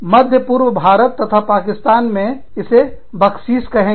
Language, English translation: Hindi, Middle east, India, and Pakistan, you will say Baksheesh